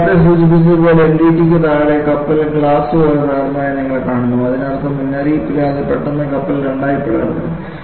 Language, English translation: Malayalam, And as I have mentioned it earlier, below the NDT, you find the ship broke like glass; that means, without warning, suddenly the ship breaks into two